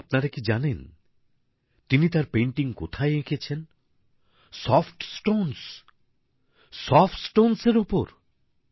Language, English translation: Bengali, But, did you know where she began painting Soft Stones, on Soft Stones